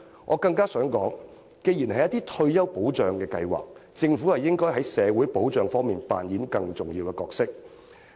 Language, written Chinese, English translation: Cantonese, 我更想指出的是，既然是退休保障計劃，政府應該在社會保障方面扮演更重要的角色。, I wish to further point out regarding retirement protection schemes the Government should play a more important role in respect of social security